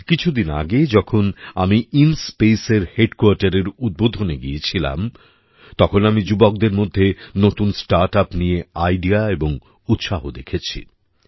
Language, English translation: Bengali, A few days ago when I had gone to dedicate to the people the headquarters of InSpace, I saw the ideas and enthusiasm of many young startups